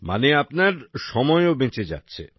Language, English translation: Bengali, Meaning, your time is also saved